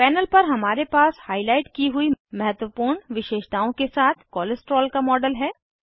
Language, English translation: Hindi, On the panel, we have a model of Cholesterol with important features highlighted